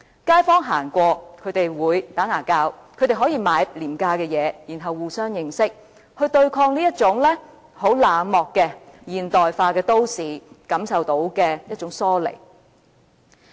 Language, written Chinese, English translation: Cantonese, 街坊走過，他們可以聊天，可以購買廉價物品，互相認識，有別於在冷漠和現代化都市中所感受到的疏離。, When kaifongs walk past a bazaar they can chat with stall operators buy quality goods at low prices and get to know one another in contrast to the sense of alienation felt in a cold modern city